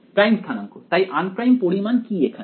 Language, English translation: Bengali, So, what is the unprimed quantity here